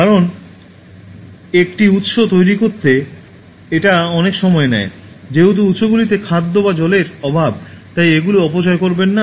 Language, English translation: Bengali, Because to create one resource it takes so much of time, since the resources are scarce whether it is food or water, do not waste